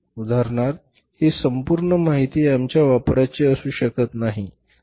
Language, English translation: Marathi, For example in this total information all the information may not be of our use